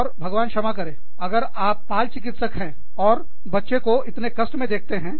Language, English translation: Hindi, And, god forbid, if you are a pediatrician, and you see a child, in so much difficulty